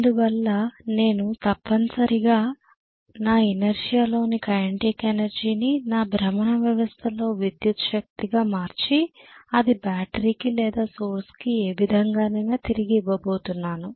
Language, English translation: Telugu, So I am essentially using the kinetic energy stored in my inertia, in my rotational system that is being converted into electrical energy and that is being fed back to the battery or the source in whatever way it is